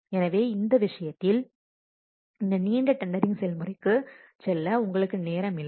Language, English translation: Tamil, So, in this case you don't have time to go for this lengthy tendering process